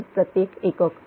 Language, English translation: Marathi, 003 per unit